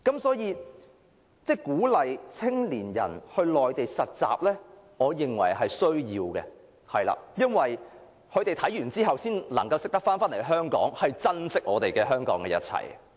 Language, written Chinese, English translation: Cantonese, 所以，我認為鼓勵青年到內地實習，是有需要的，因為青年人在體驗回港後才會珍惜香港的一切。, So I think it is necessary to encourage young people to do internship on the Mainland because they will treasure everything in Hong Kong after returning to Hong Kong with some personal experience